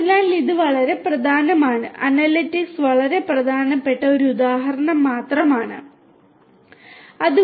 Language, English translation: Malayalam, So, this is very important and this is just an example where analytics is very important